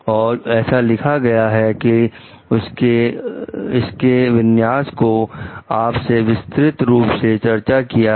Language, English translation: Hindi, It is written like he described the configuration to you in details